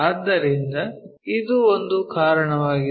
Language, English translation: Kannada, So, this is one of thereasons